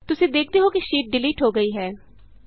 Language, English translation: Punjabi, You see that the sheet gets deleted